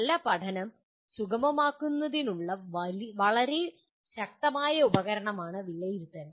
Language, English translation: Malayalam, Assessment is really a very powerful tool to facilitate good learning